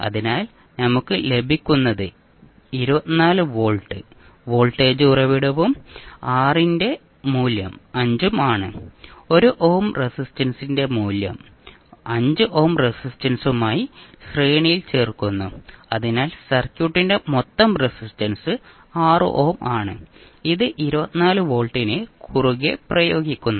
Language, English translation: Malayalam, So what we get is that 24 volt is the voltage source and value of R is 5, value of 1 ohm resistance is added in series with 5 ohm resistance so total resistance of the circuit is 6 ohm and which is applied across 24 volt